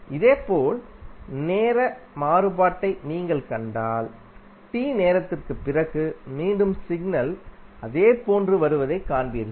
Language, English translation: Tamil, Similarly if you see the time variation you will see that the signal is repeating again after the time T